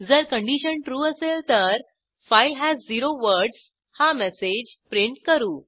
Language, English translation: Marathi, If the condition is true, we will print a message File has zero words